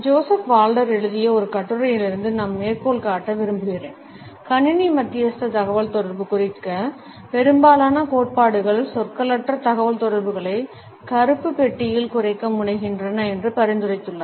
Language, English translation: Tamil, I would like to quote from an article by Joseph Walther, who has suggested that most of the theories on computer mediated communication tend to reduce nonverbal communication to a ‘black box’